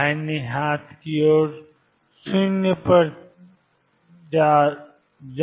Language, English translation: Hindi, The right hand side is going to go to 0